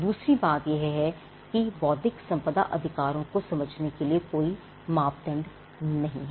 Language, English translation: Hindi, Secondly, there is no yardstick by which you can understand intellectual property rights, it is simply not there